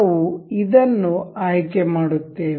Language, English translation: Kannada, We will select this